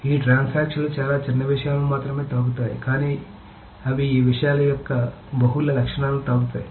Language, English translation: Telugu, These transactions touch only a very small part of the things, but they touch probably multiple attributes of these things